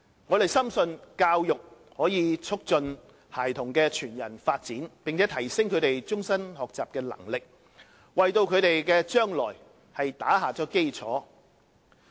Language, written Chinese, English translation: Cantonese, 我們深信教育可促進孩童的全人發展，並提升他們終身學習的能力，為他們的將來打下基礎。, We firmly believe education can facilitate the whole - person development of children and enhance their ability to pursue lifelong learning thereby laying a foundation for their future